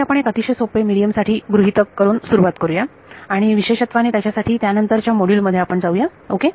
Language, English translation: Marathi, So, let us make the assumption we will start with a very simple assumption of a medium and as we go in subsequent modules we will generalized it ok